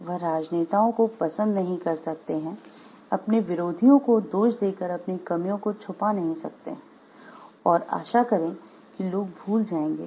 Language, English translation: Hindi, He cannot like the politicians, screen his shortcomings by blaming his opponents and hope that the people will forget